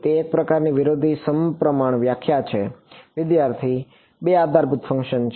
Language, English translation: Gujarati, It is sort of an anti symmetric definition There are two basis functions